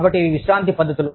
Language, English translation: Telugu, So, these are relaxation techniques